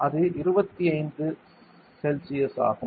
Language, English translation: Tamil, 5 degrees Celsius; 23